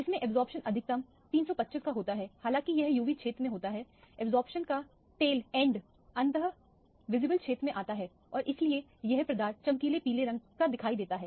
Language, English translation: Hindi, This has an absorption maximum of 325, although it is in the UV region the absorption end the tail end of the absorption comes in the visible region and that is why the substance appears as bright yellow for example